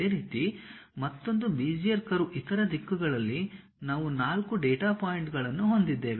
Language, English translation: Kannada, Similarly, another Bezier curve, another Bezier curve similarly on the other directions we have 4 data points